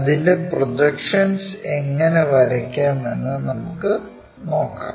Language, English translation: Malayalam, Draw it's projections